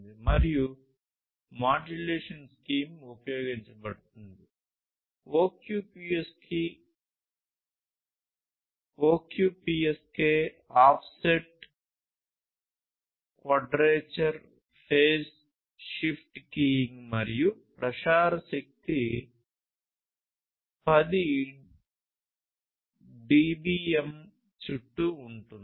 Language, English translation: Telugu, And, the modulation scheme that is used is the OQPSK offset quadrature phase shift keying and the transmission power is around 10 dBm